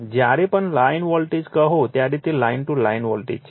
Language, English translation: Gujarati, Whenever you say line voltage, it is line to line voltage